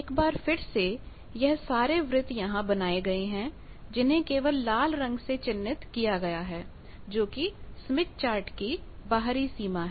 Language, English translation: Hindi, Again these circles are plotted here only the red marked one that is the outer boundary of the smith chart